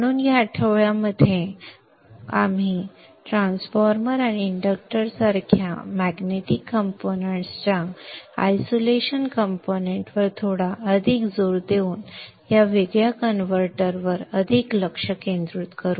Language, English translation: Marathi, So this week will focus more on these isolated converters with a bit more emphasis on the isolation components, magnetic components like the transformer and the inductor